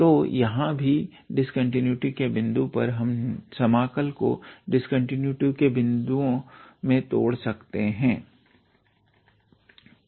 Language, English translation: Hindi, So, here also the point of discontinuity we can break the integral into the points of discontinuity